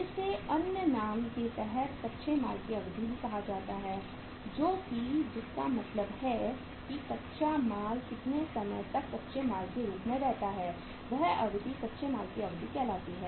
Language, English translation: Hindi, This is called as under the other name also duration of raw material that is raw material duration at that for how much time raw material remains as raw material